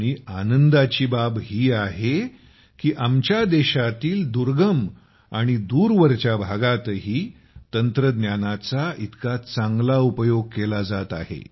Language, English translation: Marathi, And it is a matter of joy that such a good use of technology is being made even in the farflung areas of our country